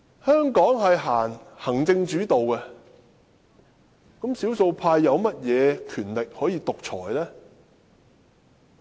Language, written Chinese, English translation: Cantonese, 香港政制以行政為主導，少數派有何權力可以獨裁？, The political system in Hong Kong is an executive - led one so how can the minority become dictators?